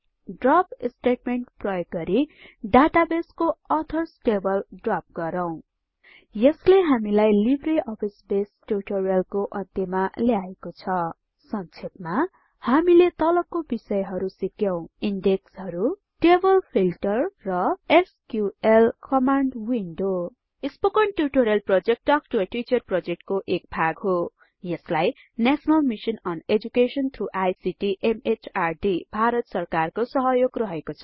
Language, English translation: Nepali, This brings us to the end of this tutorial on LibreOffice Base To summarize, we learned the following topics: Indexes Table Filter And the SQL Command window Spoken Tutorial Project is a part of the Talk to a Teacher project, supported by the National Mission on Education through ICT, MHRD, Government of India